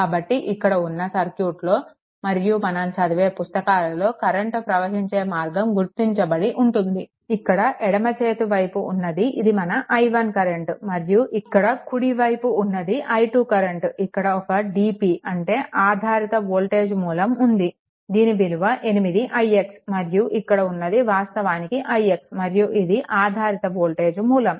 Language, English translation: Telugu, So, this is the circuit and all the all the theory what you call current directions are marked, this is your i 1 this is i 1, right and this is your what you call this is your i 2, this this is i 2 actually it is a its a DP or dependent ah voltage source, it is given it is 8 i x and this is actually i x and this is a dependent voltage source